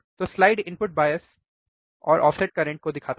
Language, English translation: Hindi, So, the slide shows input bias and offset current